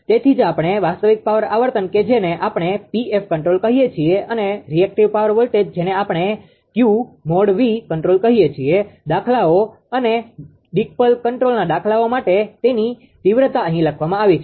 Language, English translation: Gujarati, So, that is why the real power frequency we call P f control right and the reactive power voltage we call q v control it is magnitude written here right problems and decoupled control problems for the all practical purposes right